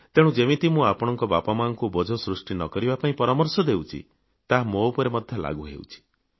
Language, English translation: Odia, Just as I advise your parents not to be burdensome to you, the same applies to me too